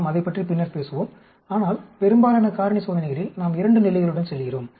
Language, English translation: Tamil, We will talk about it later, but the most of these factorials experiments we go with the 2 levels